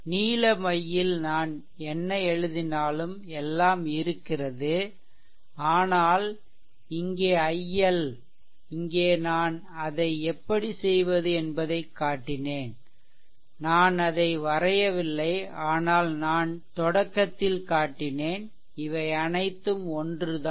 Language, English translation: Tamil, And all this whatever I wrote on the blue ink right everything is there, but there here i L there circuit everything I showed how to do it here I have not drawn it, but I showed you the beginning right and these are all same